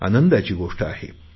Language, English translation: Marathi, It is a matter of joy